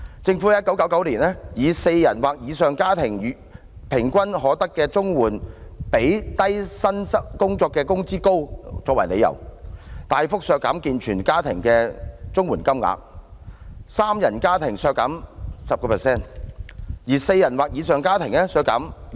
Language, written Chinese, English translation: Cantonese, 政府在1999年以"四人或以上的家庭每月平均可得的綜援比低薪工作的工資高"為由，大幅削減健全家庭的綜援金額，三人家庭削減 10%， 而四人或以上的家庭則削減 20%。, In 1999 on the grounds that the average monthly CSSA payments for households of four or more persons are higher than the earnings of low - paid jobs the Government imposed a significant cut on CSSA payments for families of able - bodied where the payment for households of three persons was cut by 10 % and that for households of four or more persons was cut by 20 %